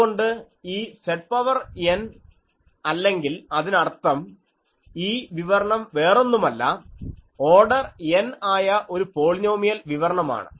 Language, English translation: Malayalam, So, this Z to the power n or that means, this expression is nothing but a polynomial expression of order n that is his contribution that